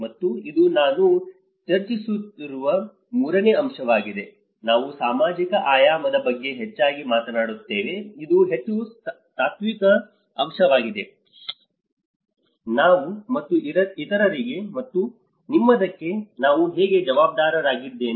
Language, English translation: Kannada, And this is the third point which I am going to discuss is more often we talk about the social dimension, this is more of a very philosophical aspect, how I is accountable for we and others and yours